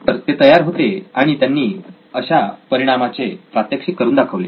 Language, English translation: Marathi, So he was ready and he demonstrated this effect